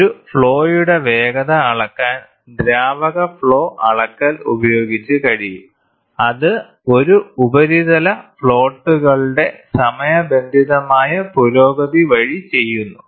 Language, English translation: Malayalam, Fluid flow measurement measuring the speed of a flow can be done by timing the progress of a surface floats